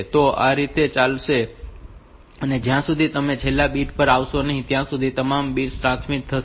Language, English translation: Gujarati, So, this way it will go on and till all the bits are transmitted, when you come to the last bit